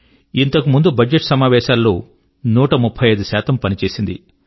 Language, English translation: Telugu, And prior to that in the budget session, it had a productivity of 135%